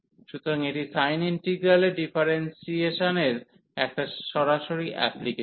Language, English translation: Bengali, So, it is a direct application of this differentiation under integral sin